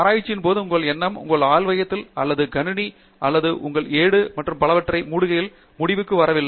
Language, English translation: Tamil, See, in research your thinking does not end with the time you close your lab or your computer or your notebook and so on